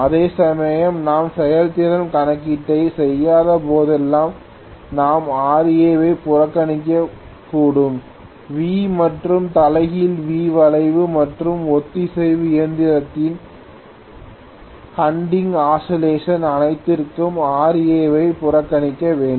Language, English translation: Tamil, Whereas whenever I am not doing efficiency calculation most of the times we may neglect Ra right, so much so for the V and inverted V curve and hunting oscillations of the synchronous machine